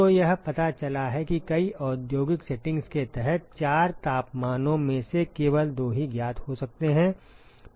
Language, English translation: Hindi, So, it turns out that under many industrial settings only two of the of the ‘four’ temperatures may be known